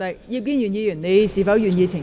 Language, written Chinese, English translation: Cantonese, 葉建源議員，你是否願意澄清？, Mr IP Kin - yuen do you wish to make a clarification?